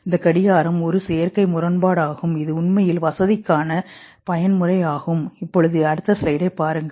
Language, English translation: Tamil, This clock is an artificial contraption which is a mode of convenience actually in fact